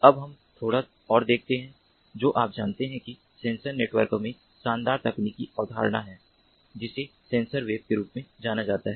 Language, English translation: Hindi, now let us look at little bit more you know glittering kind of technological concept in sensor network which is known as the sensor web